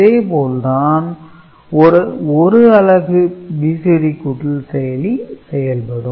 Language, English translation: Tamil, So, this is how a 1 unit of BCD adder will act